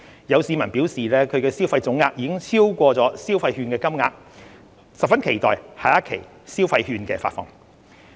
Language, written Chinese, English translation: Cantonese, 有市民表示其消費總額已超過消費券的金額，十分期待下一期消費券的發放。, Some people have indicated that their total spending has already exceeded the value of the voucher and is looking forward to the disbursement of the next voucher